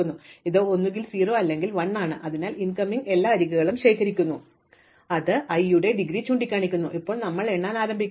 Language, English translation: Malayalam, So, it is either 0 or 1 and so we therefore, collect all the incoming edges which are pointing to i as the in degree of i, now we start enumerating